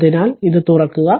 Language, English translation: Malayalam, So, if we open it